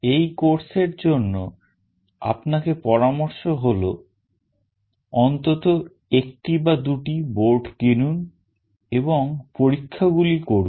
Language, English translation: Bengali, And what is strongly recommended for this course is you purchase at least one of the two boards and perform the experiments